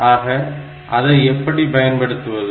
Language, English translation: Tamil, So, how to use this